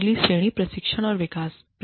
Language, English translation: Hindi, The next category is, training and development